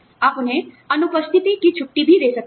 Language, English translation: Hindi, You could also give them, leaves of absence